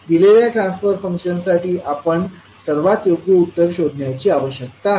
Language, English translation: Marathi, So we need to find out the most suitable answer for given transfer function